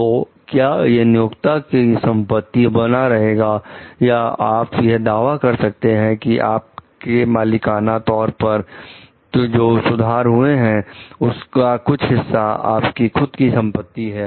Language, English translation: Hindi, So, should that remain as the employers property, or you can like claim as that as your ownership and you can claim that part of the improvement as your own property